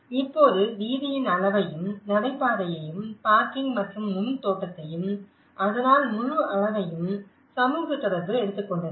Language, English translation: Tamil, But now with the scale of the street and the footpath and the parking and the front garden and so the whole scale have taken away that the social interaction